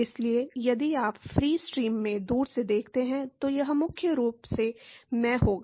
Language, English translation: Hindi, So, if you look at the, if you look at far away in the free stream, it will be primarily in the